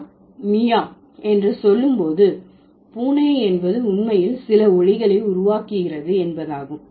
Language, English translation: Tamil, When you say the, when I say mewing, mewing of the cat means the cat is actually making some sound